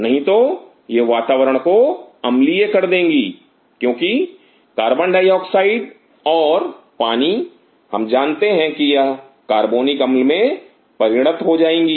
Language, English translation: Hindi, Otherwise this will make the environment acidic because CO2 plus H2O we know that it will perform carbonic acid